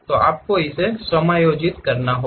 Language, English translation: Hindi, So, you have to really adjust it